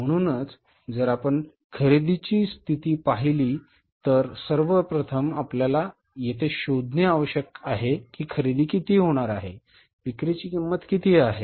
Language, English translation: Marathi, So, if you look at the purchase condition, first of all, you have to find out here is that purchases are going to be what is the cost of merchandise